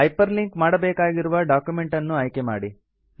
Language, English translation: Kannada, Select the document which you want to hyper link